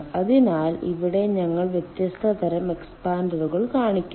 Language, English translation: Malayalam, so here we show different kind of ah expanders